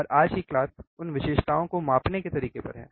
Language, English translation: Hindi, And the today’s class is on how to measure those characteristics